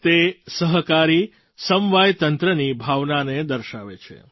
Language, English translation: Gujarati, It symbolises the spirit of cooperative federalism